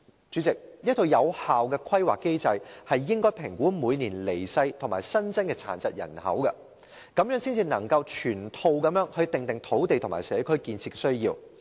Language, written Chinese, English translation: Cantonese, 主席，一個有效的規劃機制應該評估每年離世和新增的殘疾人口，這樣才能全面地訂定土地和社區建設目標。, President an effective planning mechanism should assess the number of deaths and increase of people with disabilities every year . This is the only way to draw up comprehensive targets on the development of lands and also community facilities